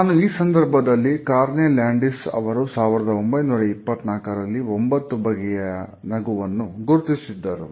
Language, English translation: Kannada, Here I would also like to mention Carney Landis, who had worked in 1924 and had identified 9 different types of a smiles